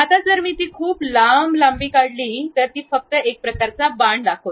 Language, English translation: Marathi, Now, if I draw it very long length, then it shows only one kind of arrow